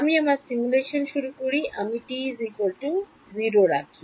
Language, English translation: Bengali, I start my simulation, I put t equal to 0